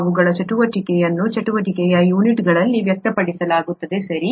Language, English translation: Kannada, Their activity is expressed in terms of units of activity, right